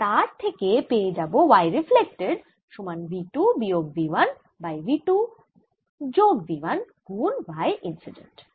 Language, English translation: Bengali, ah, and you your going to get y transmitted is equal to two v two divided by v two plus v one y incident